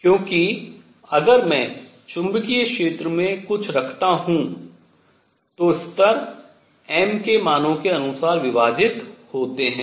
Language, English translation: Hindi, So, this is the magnetic field, I am going to have levels split for different m s